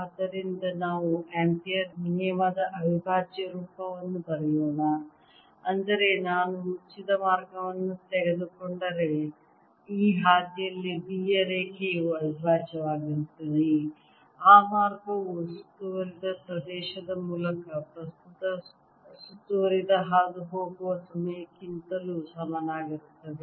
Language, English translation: Kannada, so let's write the integral form of ampere's law, that is, if i take a close path, then the line integral of b over this path is equal to mu, not times a current enclosed, passing through the area enclosed to that path